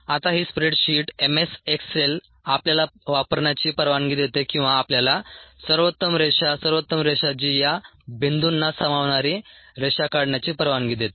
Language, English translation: Marathi, this ah spread sheet m s excel allows us to use, or allows us to draw a best line fit, ah line fit, the best line that fit's to these points